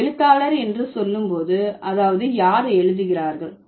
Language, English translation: Tamil, When I say writer, that means somebody who writes